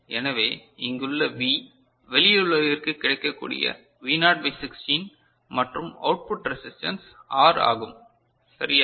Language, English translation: Tamil, So, the V over here that is available to the outside world is V naught by 16 and the output resistance is R, is it ok